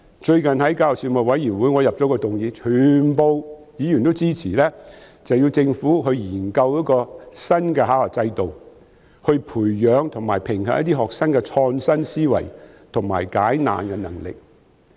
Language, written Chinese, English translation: Cantonese, 最近我在教育事務委員會上提出一項議案，全部議員都支持政府研究一個新的考核制度來培養和評核學生的創新思維及解難能力。, Recently I have proposed a motion in the Panel on Education and all Members supported that the Government should conduct studies on a new examination and assessment system for nurturing and assessing students creativity and problem solving skills